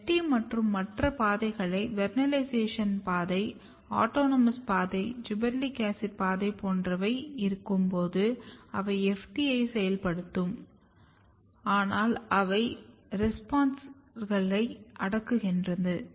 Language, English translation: Tamil, And when you have FT and other pathway like vernalization pathway, autonomous pathway, gibberellic acid pathway, they are also working to activate the FT, but they are repressing the repressors